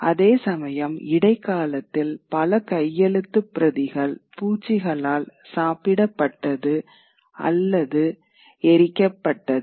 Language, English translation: Tamil, Whereas in the medieval era, many manuscripts should be destroyed, either moth eaten or be burned